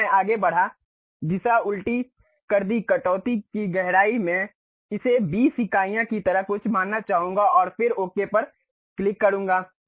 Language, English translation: Hindi, So, I went ahead, reversed the direction may be depth of cut I would like to make it something like 20 units and then click ok